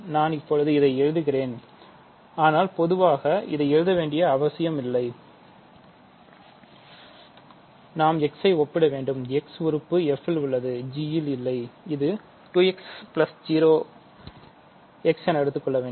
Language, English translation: Tamil, So, I am writing it now, but we do not need to write it in general and now next we have to compare x terms, there is x in f no x in g, so that is a 2 x and we have 0